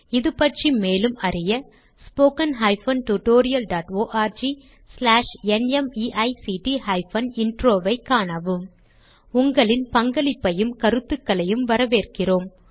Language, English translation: Tamil, More information on this mission is available at spoken tutorial.org/NMEICT Intro We welcome your participation and also feedback